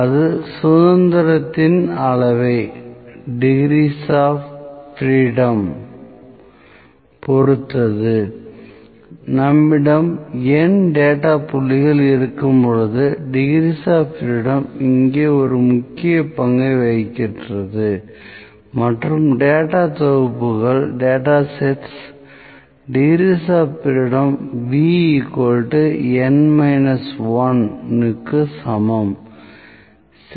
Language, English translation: Tamil, And it depends upon the degrees of freedom, degrees of freedom plays a great role here degrees of freedom is actually when we have N data points and data sets degrees of freedom is equal to V is equal to N minus 1